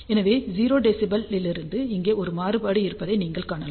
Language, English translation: Tamil, So, from 0 dB you can see there is a variation over here